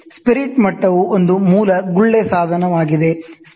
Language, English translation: Kannada, A spirit level is a basic bubble instrument